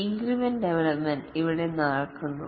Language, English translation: Malayalam, Here incremental development is practiced